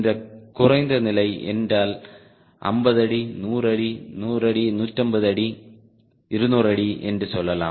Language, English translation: Tamil, low level means fifty feet, hundred feet, lets hundred feet under fifty feet, two hundred feet